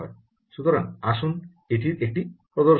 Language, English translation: Bengali, so let us see a demonstration of this